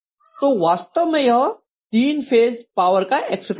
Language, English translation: Hindi, So this is essentially the three phase power expression